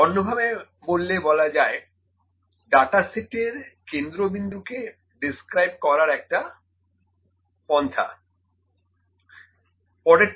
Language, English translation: Bengali, To put in other words, it is a way to describe the centre of the data set